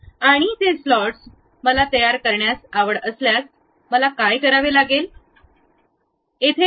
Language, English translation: Marathi, And those slots if I am interested to construct it, what I have to do pick straight slot